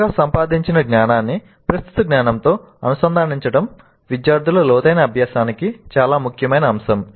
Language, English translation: Telugu, So the integration of the newly acquired knowledge into the existing knowledge is an extremely important aspect of deep learning by the students